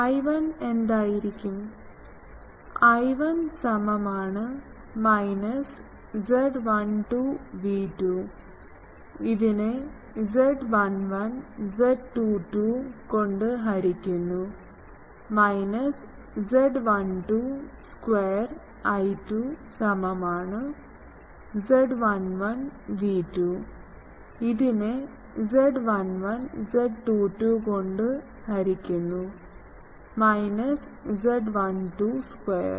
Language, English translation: Malayalam, So, what will be I 1 I 1 will be minus z 12 V 2 by z 1 1 z 22 minus z 12 square and I 2 is equal to z 11 V 2 by z 11 z 22 minus z 12 square ok